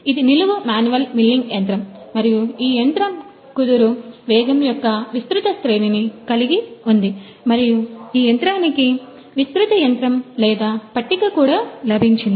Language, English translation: Telugu, This is the vertical manual milling machine and this machine has got wide range of this spindle speed and this machine has got wide machine or t able as well